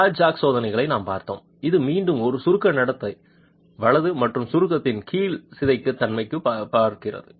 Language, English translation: Tamil, We looked at the flat jack test which is again looking at compression behavior and deformability under compression